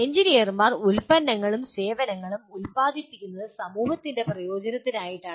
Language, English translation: Malayalam, Engineers produce products and services apparently for the benefit of the society